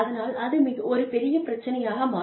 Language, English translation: Tamil, So, that becomes a big problem